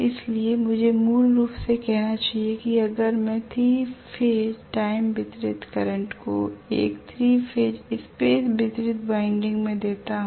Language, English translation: Hindi, So I should say basically that if I supply 3 phase time distributed current to a 3 phase space distributed winding